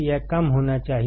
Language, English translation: Hindi, It should be low